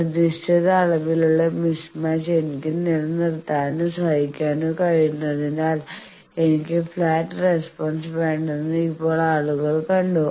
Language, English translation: Malayalam, Now, people have also saw that I do not want any flat because I can sustain or tolerate certain amount of mismatch